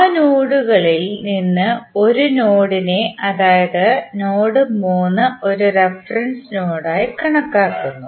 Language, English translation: Malayalam, Out of all those nodes one node is considered as a reference node that is node 3